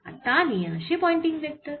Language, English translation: Bengali, now, this is the pointing vector